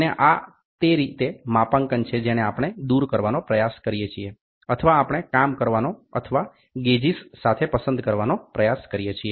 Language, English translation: Gujarati, And this is how is the calibration we try to remove or we try to work or to choose with the gauges